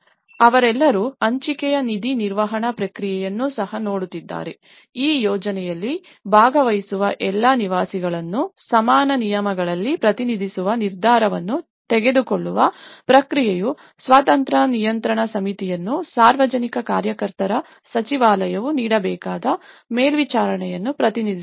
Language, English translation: Kannada, So, they are all looking at the shared fund management process also, the process of decision making all the residents taking part in this project will be represented on equal terms and the supervision which the Ministry of public worker has to offer an independent control committee would be assembled from the representatives of the chambers of engineers and architects